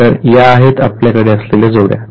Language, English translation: Marathi, So, this is the pair that we have